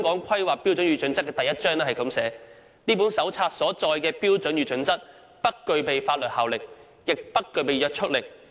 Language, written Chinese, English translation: Cantonese, 《規劃標準》第一章寫道："這本手冊所載的標準與準則不具備法定效力，也不具約束力。, Chapter 1 of HKPSG states [t]he standards and guidelines in the HKPSG are neither statutory nor rigid